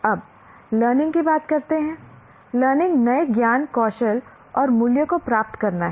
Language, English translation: Hindi, Now coming to learning, learning is acquiring new knowledge, skills and values